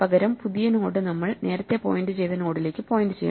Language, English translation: Malayalam, We must now make the first node point to the new node and the new node point to the old second node